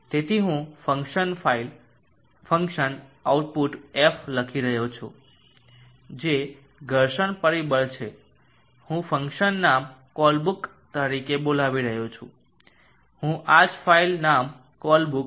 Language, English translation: Gujarati, So I am writing a function file function output F which is a friction factor, I am calling the function name as Colebrook, I will use the same file name Colebrook